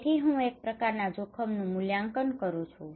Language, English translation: Gujarati, So I have a kind of appraisal of risk